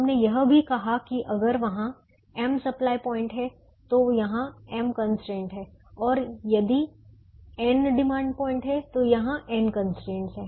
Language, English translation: Hindi, we also said that if there are m supply points, there are m constraints here, and if there are n demand points, there are n constraints here